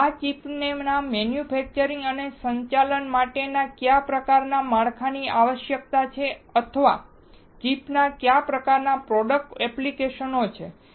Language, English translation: Gujarati, And what kind of infrastructure is required to manufacture and to operate this chip or what kind of product application does this chip have